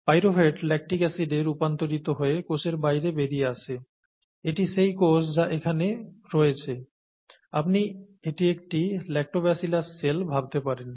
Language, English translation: Bengali, Pyruvate gets converted to lactic acid which gets out of the cell, this is the cell that is here, you could consider this as each Lactobacillus cell